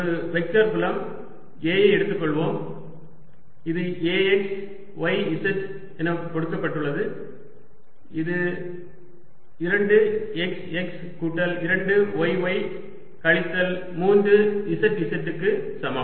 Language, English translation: Tamil, a, which is given as a, x, y, z is equal to two x, x plus two y, y minus three z, z